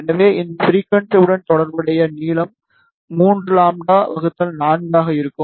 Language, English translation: Tamil, So, the length corresponding to this frequency will be 3 lambda by 4